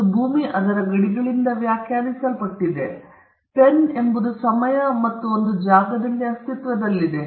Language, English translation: Kannada, A land is defined by its boundaries; a pen is an object that exists in time and space